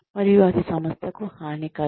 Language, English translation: Telugu, And, that can be detrimental to the organization